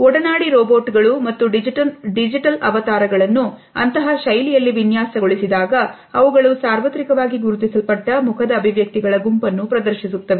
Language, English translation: Kannada, Should companion robots and digital avatars be designed in such a fashion that they display a set of facial expressions that are universally recognized